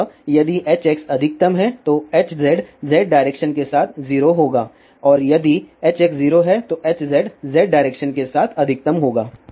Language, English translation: Hindi, So, if H x is maximum then H z will be 0 along Z direction and if H x is0, then H z will be maximum along Z direction